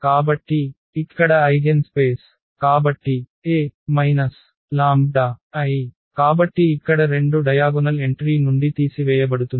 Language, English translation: Telugu, So, here the eigenspace; so, A minus lambda I so here 2 will be subtracted from the diagonal entry